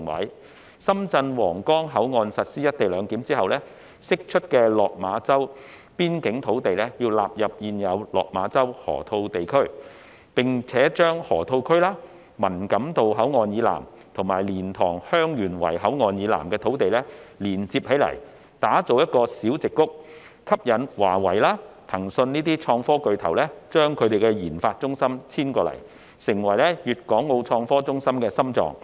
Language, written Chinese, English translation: Cantonese, 在深圳皇崗口岸實施"一地兩檢"後，釋出的落馬洲邊境土地應納入現有的落馬洲河套地區，並將河套區、文錦渡口岸以南及蓮塘/香園圍口岸以南的土地連接起來，打造成"小矽谷"，吸引華為及騰訊等創科巨頭將研發中心遷至該處，成為粤港澳創科中心的心臟。, Upon the implementation of the co - location arrangement at the Huanggang Port in Shenzhen the land released from the Lok Ma Chau border area should be incorporated into the existing Loop . Moreover the Loop the land to the south of Man Kam To Boundary Control Point and the land to the south of LiantangHeung Yuen Wai Boundary Control Point should be linked up to form a little Silicon Valley in order to attract IT giants such as Huawei and Tencent to relocate their RD centres there which will gradually become the heart of the Guangdong - Hong Kong - Macao IT hub